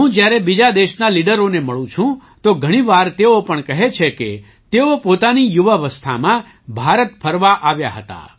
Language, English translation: Gujarati, When I meet leaders of other countries, many a time they also tell me that they had gone to visit India in their youth